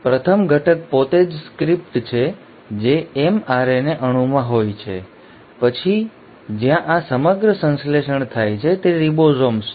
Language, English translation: Gujarati, The first ingredient is the script itself which is in the mRNA molecule, then the chef where this entire synthesis happens which are the ribosomes